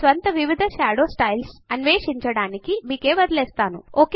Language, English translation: Telugu, I will leave you to explore the various Shadow styles, on your own